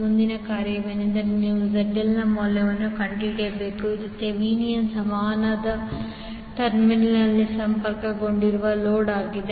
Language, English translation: Kannada, Next task is you need to find out the value of ZL, which is the load connected across the terminal of the Thevenin equivalent